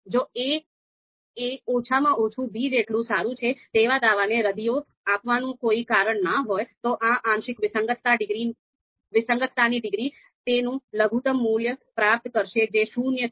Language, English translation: Gujarati, And if there is no reason to refute the assertion that a is at least as good as b, then this partial discordance degree is going to attain its minimum value that is zero